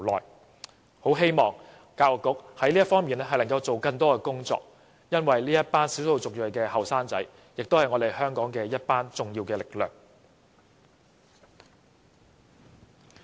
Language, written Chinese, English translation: Cantonese, 所以，我很希望教育局在這方面多做工作，因為這些少數族裔青年人也是香港社會的一股重要力量。, Personally I find these cases very disheartening . Therefore I very much hope that more can be done by the Education Bureau in this regard because these EM young people are also a major force in our society